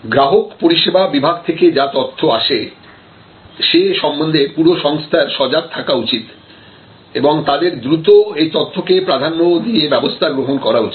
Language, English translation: Bengali, So, the whole organization we should be sensitive to the feedback coming from the customer support department and they must all immediately gear up and take it up as a priority